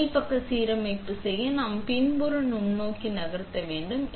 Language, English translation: Tamil, So, to do top side alignment, we need to move the backside microscope